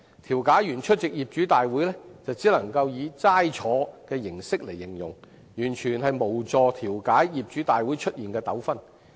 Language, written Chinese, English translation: Cantonese, 調解員出席業主大會時只能以"齋坐"來形容，完全無助調解業主大會出現的糾紛。, Mediators could best be described as spectators when attending owners meetings completely failing to assist in the mediation of disputes arising therein